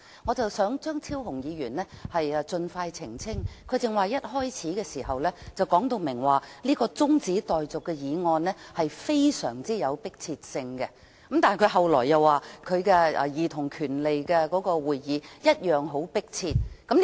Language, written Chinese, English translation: Cantonese, 我想張超雄議員盡快作出澄清，他剛才一開始便明言這項中止待續的議案非常迫切，但他後來又說他的兒童權利小組委員會會議同樣迫切。, The point I wish Dr Fernando CHEUNG to elucidate as soon as possible is that while stressing the extreme urgency of this adjournment motion at the outset he then said the meeting of the Subcommittee on Childrens Rights was equally urgent